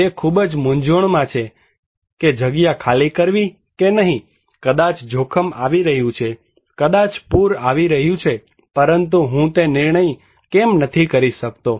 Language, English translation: Gujarati, He is in under great dilemma whether to evacuate or not, maybe risk is coming, maybe flood is coming but I simply cannot make that decision why